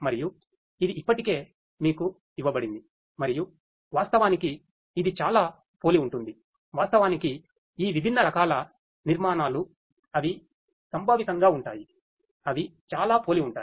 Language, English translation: Telugu, And it is already given to you and it is very similar actually all these different types of architectures they are conceptually they are very similar